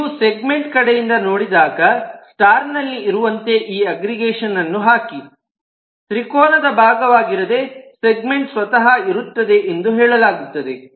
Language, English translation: Kannada, so when you look at from the segment side, you put this aggregation to be at star, which says that a segment could be by itself also not a part of the triangle